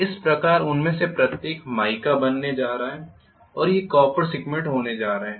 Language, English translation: Hindi, So each of this is going to be mica and these are going to be copper segments,right